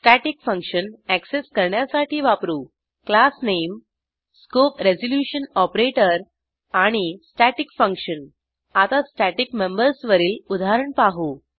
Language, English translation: Marathi, To access a static function we use, classname#160:: and the staticfunction() Let us see an example on static memebers